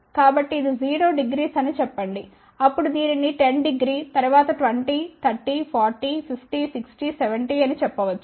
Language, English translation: Telugu, So, let us say this can be 0 degree, then this can be let us say 10 degree, then 20, 30, 40, 50, 60, 70